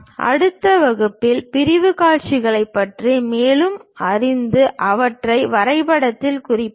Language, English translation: Tamil, In next class, we will learn more about the sectional views and represent them on drawing sheet